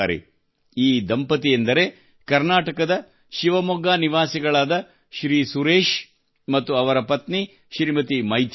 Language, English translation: Kannada, This is a couple from Shivamogga in Karnataka Shriman Suresh and his wife Shrimati Maithili